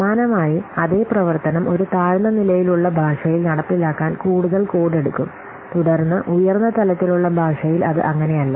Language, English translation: Malayalam, And similarly what this I have already told you, the same functionality takes more code to implement in a low level language than in a high level language, isn't it